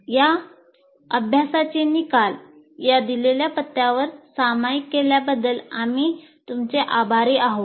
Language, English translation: Marathi, And we will thank you for sharing the results of these exercises at this address